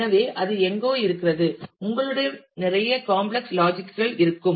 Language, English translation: Tamil, So, that is something where, you will have a whole lot of complex logic that might come in